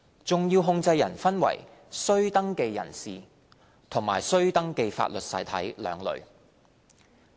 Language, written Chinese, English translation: Cantonese, 重要控制人分為須登記人士和須登記法律實體兩類。, Significant controllers are classified into two groups registrable persons and registrable legal entities